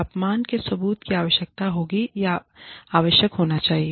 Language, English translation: Hindi, Proof of insubordination, would be required, or should be required